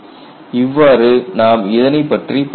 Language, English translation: Tamil, So, that is the way we will look at it